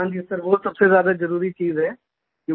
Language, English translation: Hindi, Yes sir that is the most important thing